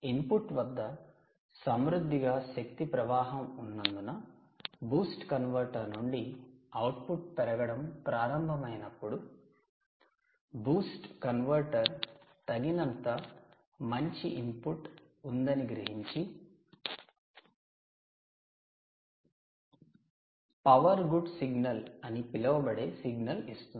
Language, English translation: Telugu, meanwhile, when the output from the boost convertor starts to build up because of a copious energy flow at the input, the boost converter senses that there is sufficiently good input and gives a signal out called the power good signal